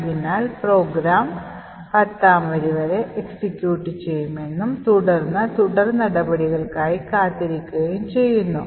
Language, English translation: Malayalam, So this could mean that the program will execute until line number 10 and then it will wait for further action